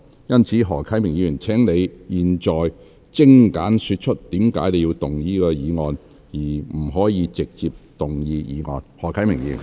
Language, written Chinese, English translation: Cantonese, 因此，何議員，現在你只可精簡說出你為何要動議此議案，而不可直接動議議案。, Hence Mr HO you may now state your reasons for proposing this motion concisely . Yet you may not move the motion direct